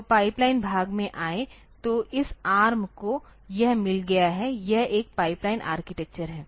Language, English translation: Hindi, So, coming to the pipeline part; so, this ARM has got it has it is a pipelined architecture